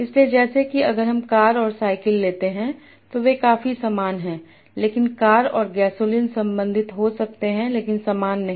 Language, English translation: Hindi, So like if I take car and bicycle they are quite similar but car and gasoline they might be related but not similar